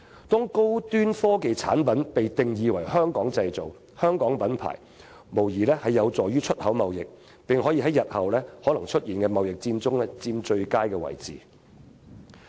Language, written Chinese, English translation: Cantonese, 把高端科技產品定義為"香港製造"或"香港品牌"，無疑有助於本港的出口貿易，並可讓我們在日後可能出現的貿易戰中佔據最佳位置。, To define high - tech products as those made in Hong Kong or of Hong Kong brands will surely be beneficial to our export trade and enable us to get the best position in any trade war that may erupt in the future